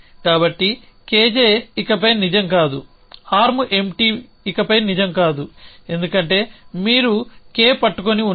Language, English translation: Telugu, So, K J is no longer true, on K J is no longer true; arm empty is no longer true, because you are holding K